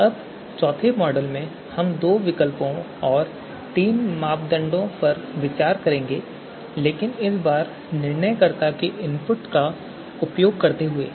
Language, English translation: Hindi, Now in the fourth model we will consider just you know two alternatives and three criteria now but this time using the decision makers’ input right